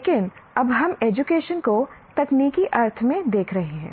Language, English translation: Hindi, But now you are looking at education in a technical sense